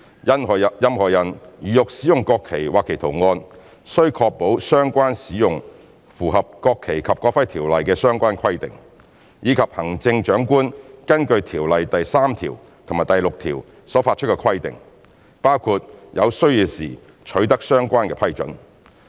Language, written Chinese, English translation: Cantonese, 任何人如欲使用國旗或其圖案，須確保相關使用符合《國旗及國徽條例》的相關規定，以及行政長官根據條例第3條及第6條所發出的規定，包括有需要時取得相關批准。, Any person who wish to use the national flag and its design must ensure that such use is in accordance with the relevant requirements in the Ordinance and the stipulations made by the Chief Executive pursuant to sections 3 and 6 of the Ordinance including securing relevant approval when necessary